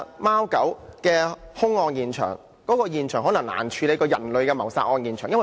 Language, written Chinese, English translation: Cantonese, 貓狗的兇案現場，可能較人類的謀殺案現場更難處理。, The crime scene of the murder of cats and dogs may be even more difficult to handle than the scene of human murder